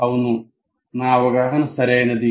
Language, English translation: Telugu, Yes, this is what my understanding is correct